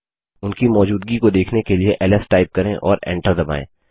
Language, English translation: Hindi, To see there presence type ls and press enter